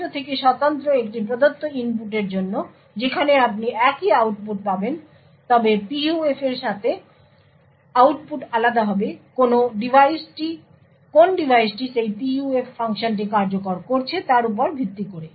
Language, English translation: Bengali, Over there for a given input independent of the device you would get the same output however, with a PUF the output will differ based on which device is executing that PUF function